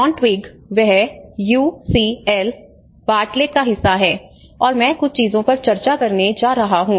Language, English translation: Hindi, John Twigg, he is part of the UCL Bartlett, and I am going to discuss a few things